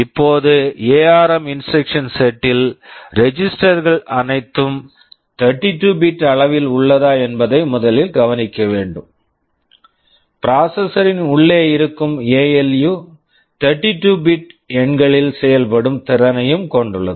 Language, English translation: Tamil, Now, in the ARM instruction set the first thing to notice that the registers are all 32 bit in size, the ALU inside the processor also has the capability of operating on 32 bit numbers